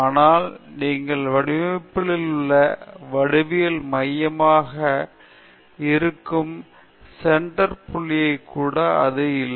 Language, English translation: Tamil, But, that is not all you also have the center point which is the geometric center of the design